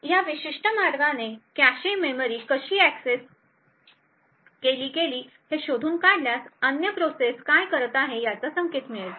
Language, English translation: Marathi, In this particular way by tracing the how the cache memories have been accessed would get an indication of what the other process is doing